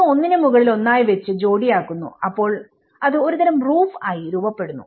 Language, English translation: Malayalam, So, it couples one over the another and then it forms as a kind of roof